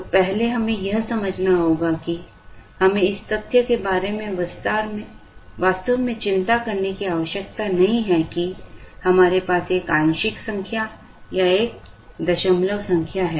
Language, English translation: Hindi, So, first let us understand that, we need not really worry about the fact that, we have a fractional number or a decimal number coming here